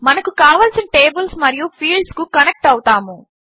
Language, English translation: Telugu, We will connect the related tables and fields